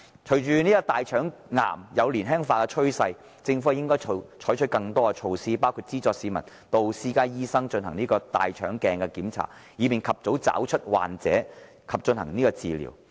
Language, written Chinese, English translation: Cantonese, 隨着大腸癌有年輕化的趨勢，政府應採取更多措施，包括資助市民進行由私家醫生提供的大腸鏡檢查，以便及早找出患者及進行治療。, Given the trend of people suffering from colorectal cancer at a younger age the Government should adopt more measures including subsidizing members of the public to receive colonoscopy examination conducted by private doctors in order to detect patients and provide treatment